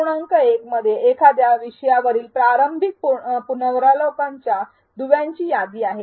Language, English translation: Marathi, 1 contains a list of links to early reviews on a topic